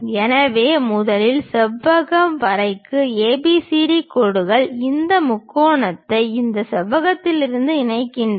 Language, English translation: Tamil, So, first for the rectangle draw ABCD lines enclose this triangle in this rectangle